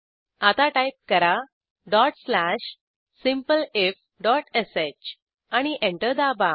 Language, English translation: Marathi, Now type dot slash simpleif.sh Press Enter